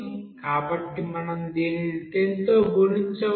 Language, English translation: Telugu, So we can multiply this with 10